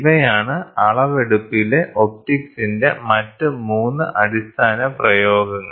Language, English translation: Malayalam, So, these are the 3 other basic application of optics in measurement